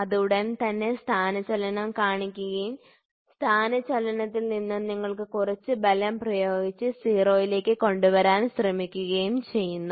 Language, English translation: Malayalam, So, then it immediately shows the displacement and from the displacement, you try to apply some force and bring it to 0